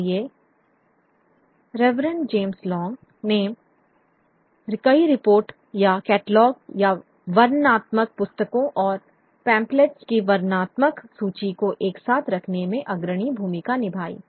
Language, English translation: Hindi, So, Reverend James Long played the pioneering role of putting together several reports or catalogs and descriptive catalog of vernacular books and pamphlets